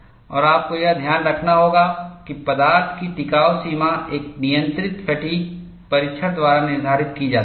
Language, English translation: Hindi, And you will have to note that, endurance limit of the material is determined by a controlled fatigue test